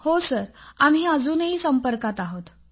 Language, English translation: Marathi, We still contact each other